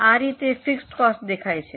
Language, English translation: Gujarati, This is how the fixed cost looks like